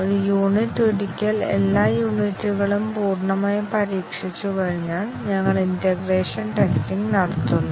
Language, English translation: Malayalam, And once a unit, all the units have been fully tested, we do the integration testing